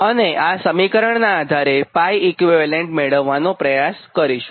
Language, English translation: Gujarati, then based on the these, based on these equation, we try to find out a pi equivalent